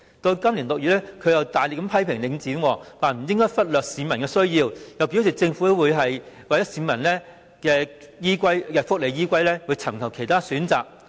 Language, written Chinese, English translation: Cantonese, 到了今年6月，他又大力批評領展不應忽略市民的需要，又表示政府會以市民的福利為依歸而尋求其他選擇。, In June this year he again lambasted Link REIT for neglecting the needs of the people adding that the Government would identify other options in the best interest of the people